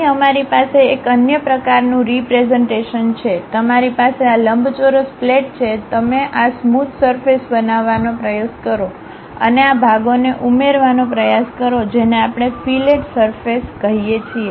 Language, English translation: Gujarati, Here we have another kind of representation, you have this rectangular plate rectangular plate you try to construct this smooth surface and try to add to these portions, that is what we call fillet surface